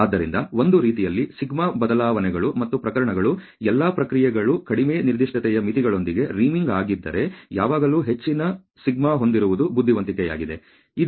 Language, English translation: Kannada, So, in a way if the σ alters and the cases, where all the processes are sort of riming with the lower specification limits, it is always wise to have A greater σ